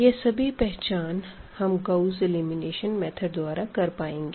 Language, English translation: Hindi, So, all these we can figure it out with this Gauss elimination technique